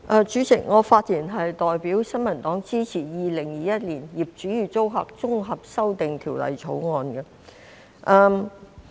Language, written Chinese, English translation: Cantonese, 代理主席，我發言代表新民黨支持《2021年業主與租客條例草案》。, Deputy President on behalf of the New Peoples Party I speak in support of the Landlord and Tenant Amendment Bill 2021 the Bill